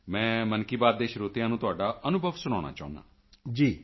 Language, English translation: Punjabi, I would like to share your experience with the listeners of 'Mann Ki Baat'